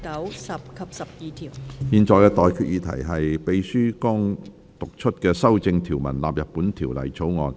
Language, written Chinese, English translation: Cantonese, 我現在向各位提出的待決議題是：秘書剛讀出經修正的條文納入本條例草案。, I now put the question to you and that is That the clauses as amended just read out by the Clerk stand part of the Bill